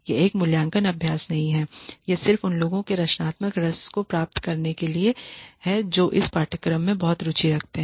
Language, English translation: Hindi, This is not an evaluative exercise; this is just to get the creative juices flowing of those who have been very interested in this course